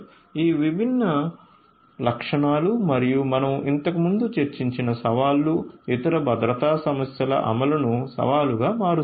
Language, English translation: Telugu, So, all these different features and the challenges that we have discussed previously, these will also make the implementation of security issues a challenge